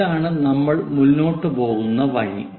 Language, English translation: Malayalam, This is the way we go ahead